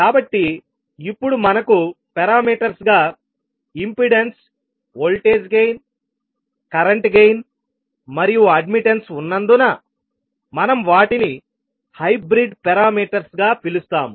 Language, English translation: Telugu, So now, since we have impedance, voltage gain, current gain and admittance as a parameter